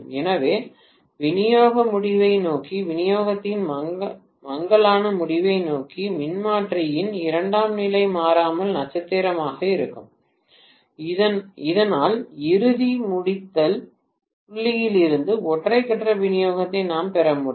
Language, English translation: Tamil, So invariably you would see that towards the distribution end, fag end of the distribution, the secondary of the transformer invariably will be star so that we will be able to derive single phase supply out of the final termination point